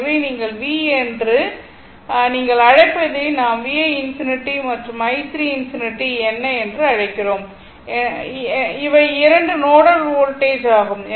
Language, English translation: Tamil, So, ah if you you know that your what you call that you are ah V your what you call V 1 infinity and V 2 infinity, these are the 2 nodal voltage